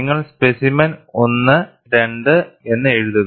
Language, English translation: Malayalam, You write the specimen 1 and 2